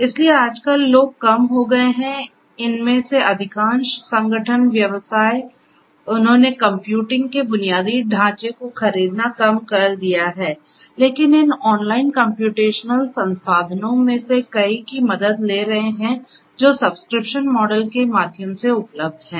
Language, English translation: Hindi, So nowadays people are have reduced, most of these organizations, the businesses; they have reduced buying the computing infrastructure, but are taking help of many of these online computational resources that are available through subscription models